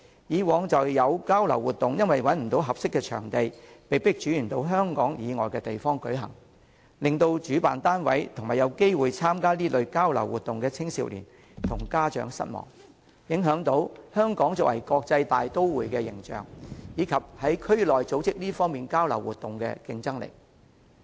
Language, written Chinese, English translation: Cantonese, 過往便曾有交流活動因找不到合適場地，被迫轉至香港以外的地方舉行，令主辦單位及有機會參加該活動的青少年和家長失望，也影響香港作為國際大都會的形象，以及於區內組織這類交流活動的競爭力。, Previously an exchange activity was forced to be conducted somewhere else as the organizer could not find a suitable venue in Hong Kong . As a result the organizer young people who got the chance to join that activity and their parents were all disappointed . Meanwhile Hong Kong also found its image as an international metropolis tarnished and its regional competitiveness in coordinating these exchange activities affected